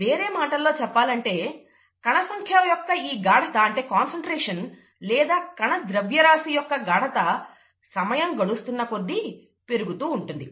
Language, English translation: Telugu, In other words, the cell number concentration or the cell mass concentration increases with time